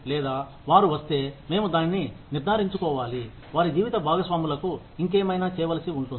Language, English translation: Telugu, Or, if they come, we need to ensure that, their spouses have something else to do